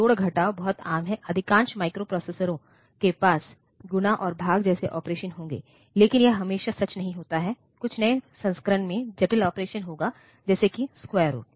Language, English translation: Hindi, So, normally addition, subtraction these are very common most microprocessors will have operations like multiply and divide, but it is not always true some of the newer ones will have complex operation such as square root